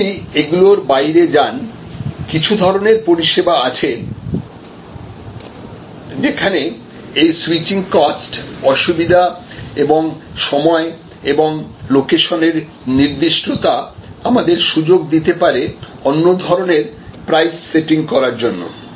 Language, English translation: Bengali, If you go beyond there are certain times of services, where the switching cost, inconvenience and time and locations specificity can give us opportunities for different types of price setting